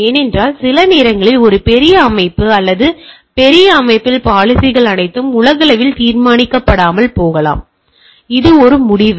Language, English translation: Tamil, Because sometimes the in a large organisation or large system, the policies may not be all globally decided, this is piecewise decided